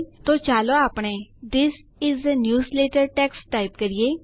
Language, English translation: Gujarati, So let us type some text like This is a newsletter